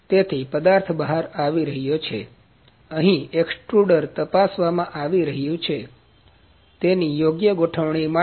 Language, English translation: Gujarati, So, the material is coming out, the extruder is being checked here, for it is proper setting